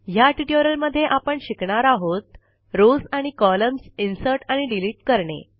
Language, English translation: Marathi, To summarize, we learned about: Inserting and Deleting rows and columns